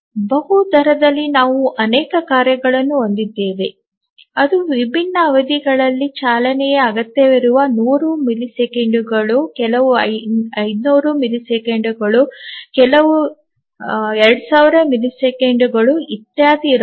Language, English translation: Kannada, periods so which are we called as multi rate operating system in multi rate we have multiple tasks which require running at different periods some may be requiring every 100 milliseconds, some may be 500 milliseconds, some may be 2,000 milliseconds, etc